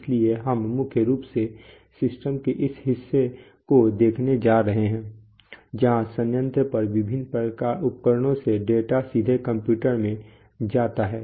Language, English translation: Hindi, So, we are primarily going to look at this part of the system where from various equipment on the plant, the data gets into the computer right, so